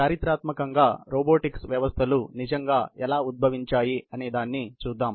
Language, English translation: Telugu, Let us looks at robotics and how you know historically, robotics systems really emerged